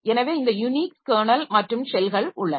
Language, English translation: Tamil, So you have got this Unix kernel and the shells are there